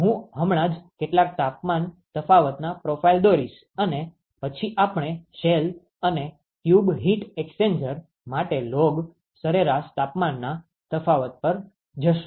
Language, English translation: Gujarati, I will just sketch some of the temperature profiles and then we will move on to log mean temperature difference for shell and tube heat exchangers ok